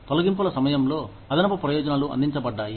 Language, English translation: Telugu, Additional benefits provided at the time of layoffs